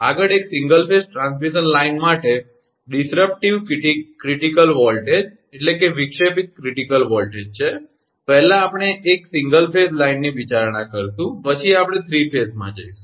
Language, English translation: Gujarati, Next is disruptive critical voltage for a single phase transmission line, first we will consider single phase then, we will move over to 3 phase